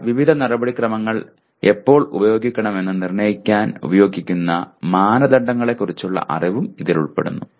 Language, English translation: Malayalam, But it also includes the knowledge of criteria used to determine when to use various procedures